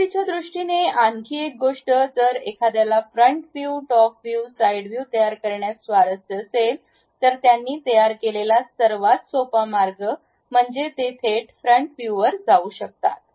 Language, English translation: Marathi, One more thing if because of beginners if one is interested in constructing top view, side view, front view, the easiest way what they can prepare is straight away they can go to front view